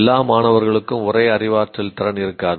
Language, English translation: Tamil, All students will not have the same cognitive ability